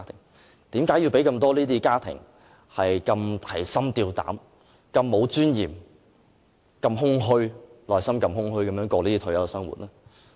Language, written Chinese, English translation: Cantonese, 為甚麼要令這麼多的家庭提心吊膽，如此沒有尊嚴，內心這麼空虛地度過退休生活？, Why we have to make so many families to lead an undignified retirement life to be haunted by constant fear and the feeling of emptiness